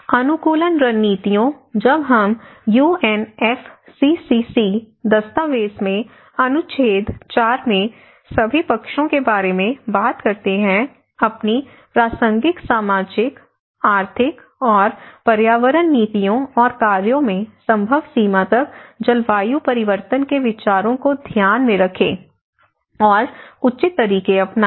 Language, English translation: Hindi, Adaptation strategies; when we talk about all parties in article 4 in UNFCCC document; take climate change considerations into account to the extent feasible in their relevant social, economic and environmental policies and actions and employ appropriate methods